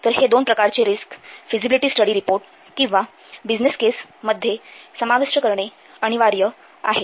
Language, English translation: Marathi, So, these two types of risks must what contain, these two types of risks must be contained in this feasible study report or business case